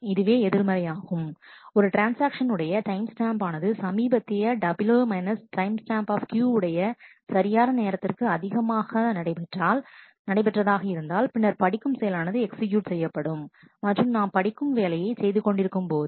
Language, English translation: Tamil, If it is in contrast, if the timestamp of the transaction is greater than the latest right time W timestamp Q then the read operation is executed and since we are doing a read operation